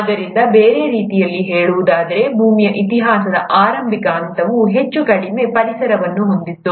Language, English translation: Kannada, So in other words, the initial phase of earth’s history, it had a highly reducing environment